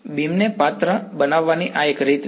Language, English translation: Gujarati, This is one way of characterizing a beam